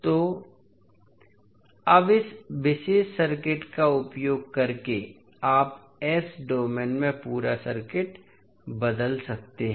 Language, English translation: Hindi, Now, using this particular circuit you can transform the complete circuit in the S domain